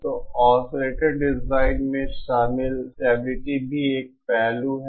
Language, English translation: Hindi, So there is an aspect of stability also involved in oscillator design